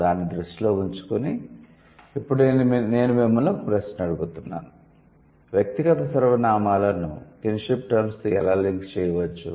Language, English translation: Telugu, So, keeping that in mind, why do we now I'm asking you the question how we can link the personal pronouns with the kinship terms